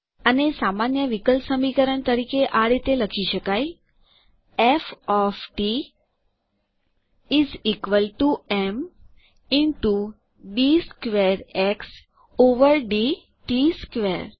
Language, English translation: Gujarati, This can be written as an ordinary differential equation as:F of t is equal to m into d squared x over d t squared